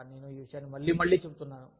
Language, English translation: Telugu, But, i am saying this, again, and again